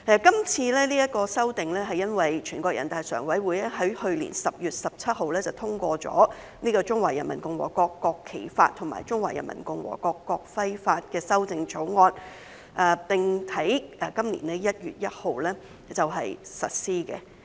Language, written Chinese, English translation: Cantonese, 今次這項修訂是由於全國人大常委會在去年10月17日通過了《中華人民共和國國旗法》和《中華人民共和國國徽法》的修正草案，並於今年1月1日實施。, The current amendment stems from the endorsement by the Standing Committee of the National Peoples Congress on 17 October last year and the coming into force since 1 January this year of the amendments to the Law of the Peoples Republic of China on the National Flag and the Law of the Peoples Republic of China on the National Emblem